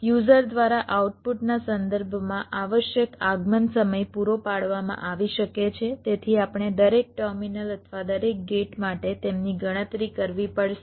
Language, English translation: Gujarati, required arrival times may be provided by the user with respect to the output, so we have to calculated them for every terminal or every gate